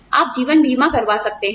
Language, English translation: Hindi, You could have life insurance